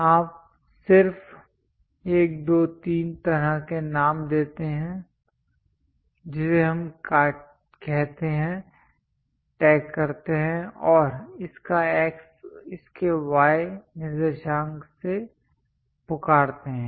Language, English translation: Hindi, You just give the name 1, 2, 3 kind of names, tag what we call and its X coordinates its Y coordinates